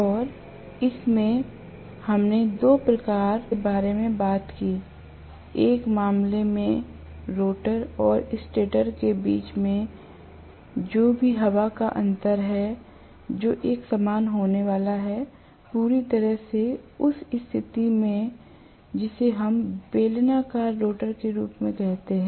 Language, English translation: Hindi, And in this itself, we talked about two types, in one case, the rotor and the stator in between whatever is the air gap that is going to be uniform, completely in which case we call it as cylindrical rotor